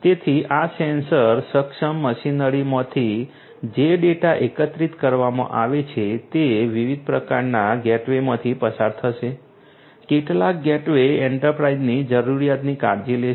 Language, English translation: Gujarati, So, the data that are collected from these sensor enabled machinery are going to go through different types of gateways; different types of gateways, some gateways will take care of the enterprise requirement